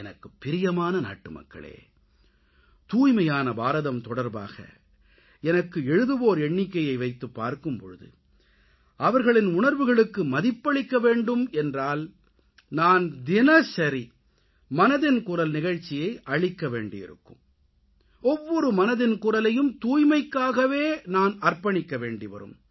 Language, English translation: Tamil, My dear countrymen, a multitude of people write to me about 'Swachch Bharat', I feel that if I have to do justice to their feelings then I will have to do the program 'Mann Ki Baat' every day and every day 'Mann Ki Baat' will be dedicated solely to the subject of cleanliness